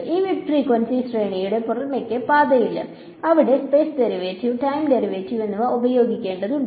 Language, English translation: Malayalam, So, in this mid frequency range there is no escape, I have to use both the space derivative and the time derivative ok